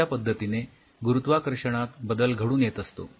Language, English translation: Marathi, So, the cells experience changes in the gravity like this